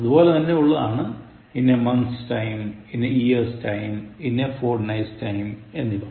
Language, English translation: Malayalam, That is in a week’s time, in a month’s time, in a year’s time, in a fortnight’s time